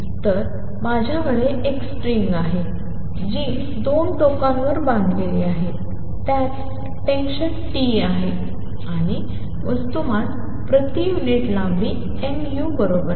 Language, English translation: Marathi, So, I have a string which is tied at 2 ends it has tension T and mass per unit length equals mu